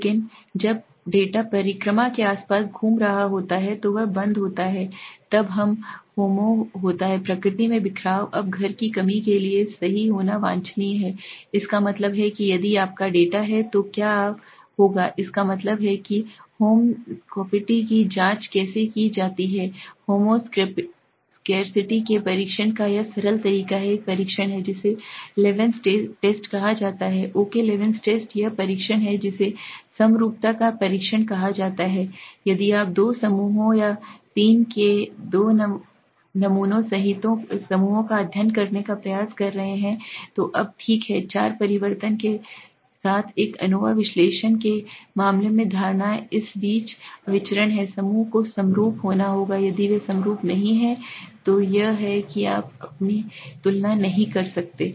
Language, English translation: Hindi, But when the data is revolving around the variance is close is highly closed then it is homo scarcity in nature now it is desirable to be home scarcity right that means what if your data that means what how to check for home scarcity now in that simple way of testing homo scarcity is there is a test called levens test okay levens test is the test which is called the test of homogeneity of variances okay now if you are trying to study two groups or two sample groups of three or four do in case of an nova analysis of variances the assumption is the variance between this group have to be homogenous if they are not homogenous then it is you cannot compare them